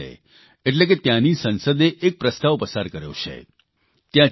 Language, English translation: Gujarati, The Chilean Congress, that is their Parliament, has passed a proposal